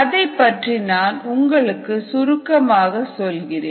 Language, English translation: Tamil, ok, let me briefly tell you what it is